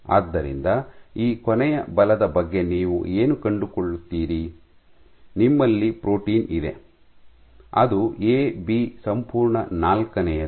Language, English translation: Kannada, So, what do you find disregarding this and the last force, you have you have a protein which is AB whole fourth